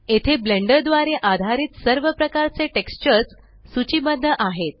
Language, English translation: Marathi, Here all types of textures supported by Blender are listed